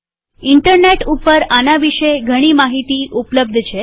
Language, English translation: Gujarati, There is a lot of information on these topics in Internet